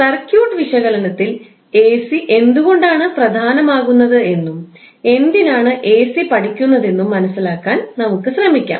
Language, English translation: Malayalam, So, now let's try to understand why the AC is important in our circuit analysis and why we want to study